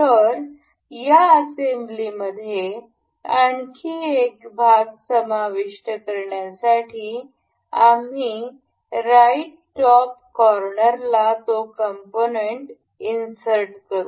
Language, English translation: Marathi, So, to include another part in this assembly we will go to insert component right there in the right top corner